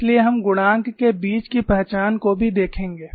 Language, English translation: Hindi, So, we would also look at the identity between the coefficients